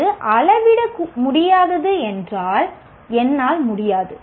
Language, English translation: Tamil, If it is not measurable, I can't